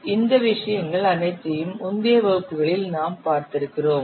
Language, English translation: Tamil, So all these things we have seen in the previous classes